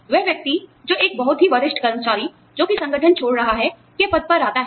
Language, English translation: Hindi, The person, who moves into that position, of a very senior employee, who is leaving the organization